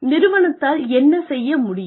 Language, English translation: Tamil, What the employee would be able to do